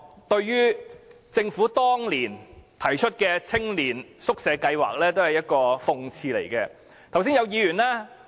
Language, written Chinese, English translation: Cantonese, 對於政府當年提出的青年宿舍計劃，用軍營來作青年宿舍是一種諷刺。, Concerning the Youth Hostel Scheme introduced by the Government years back the utilization of barracks as youth hostels is an irony